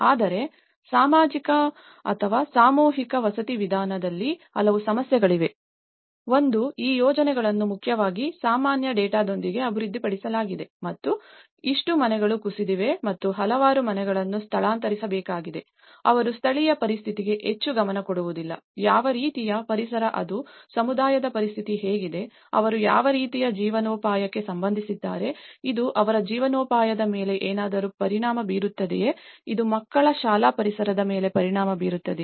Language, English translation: Kannada, Whereas, in mass housing approach, there are many issues; one is these projects are mainly developed with a general data and because they only talk about yes, this many houses have been collapse and this many some households has to be relocated, they don’t give much regard to the local situation, what kind of environment it is, what kind of the you know the situation of the community, what kind of livelihood they are related to, is it going to affect something of their livelihood, it is going to affect the children's school environment